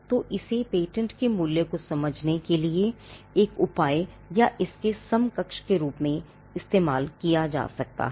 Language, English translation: Hindi, So, the it is an equivalent for or it could be used as a measure for understanding the value of a patent